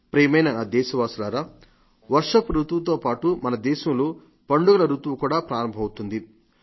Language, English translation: Telugu, My dear countrymen, with the onset of rainy season, there is also an onset of festival season in our country